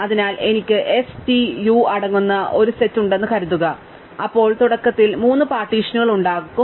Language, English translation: Malayalam, So, supposing I have a set consisting of s t u, then I would initially have three partitions